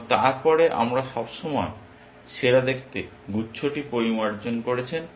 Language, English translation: Bengali, And then we always refined the best looking cluster